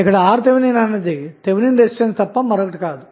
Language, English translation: Telugu, So, Rth is nothing but Thevenin's resistance